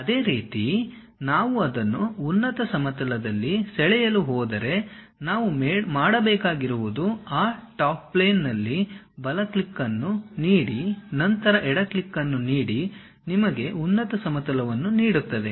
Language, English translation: Kannada, Similarly, if we are going to draw it on top plane what we have to do is give a click that is right click on that Top Plane, then give a left click on that gives you top plane